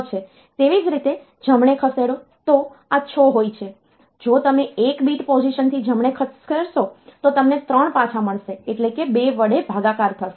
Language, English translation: Gujarati, Similarly, shift right; this 6, if you shift right by 1 bit position you will get back 3, so that is, division by 3